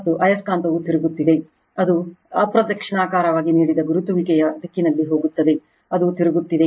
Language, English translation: Kannada, And magnet is rotating, it goes direction of the rotation given anti clockwise direction, it is rotating